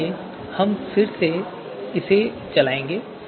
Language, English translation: Hindi, Now so let us execute this